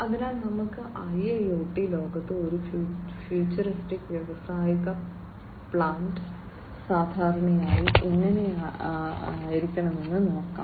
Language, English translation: Malayalam, So, let us look at in the IIoT world, how a futuristic industrial plant typically is going to look like